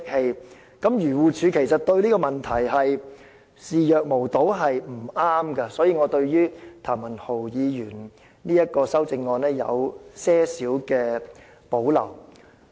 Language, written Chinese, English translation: Cantonese, 漁農自然護理署對這個問題視若無睹是不妥當的，所以我對譚文豪議員的修正案有輕微保留。, It is improper for the Agriculture Fisheries and Conservation Department AFCD to turn a blind eye to this problem . Thus I have slight reservation about Mr Jeremy TAMs amendment